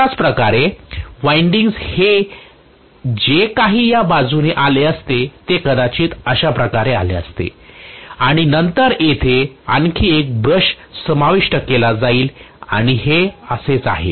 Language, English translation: Marathi, So similarly whatever is the winding that would have come along this maybe it would have come like this and then here one more brush will be inserted and so on, that is howit is, fine